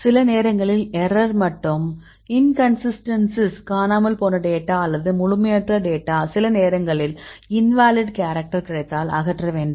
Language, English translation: Tamil, Sometimes some error and inconsistencies, the missing data or the incomplete data, are sometimes invalid characters if available then you want to remove